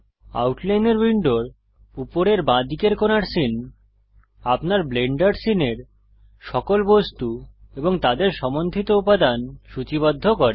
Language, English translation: Bengali, Scene at the top left corner of the outliner window, lists all the objects in your Blender scene and their associated elements